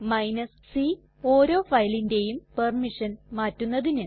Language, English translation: Malayalam, c : Change the permission for each file